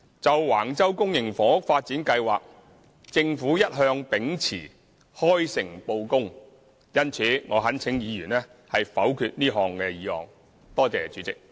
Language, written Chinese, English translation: Cantonese, 就橫洲公營房屋發展計劃，政府一向秉持開誠布公，因此，我懇請議員否決這項議案。, With respect to public housing development at Wang Chau the Government has always been open and honest; hence I implore Members to vote against this motion